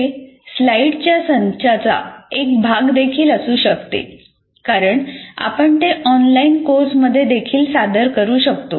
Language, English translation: Marathi, It can be also as a part of a set of slides as we will see that can be presented in an online course as well